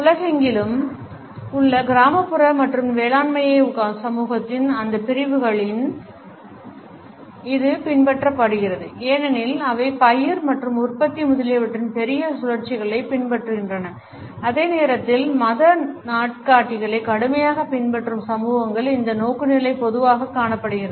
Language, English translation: Tamil, It is also followed in those sections of the society the world over which are basically rural and agrarian because they follow the larger cycles of the crop and production etcetera and at the same time those societies which rigorously follow the religious calendars this orientation is normally found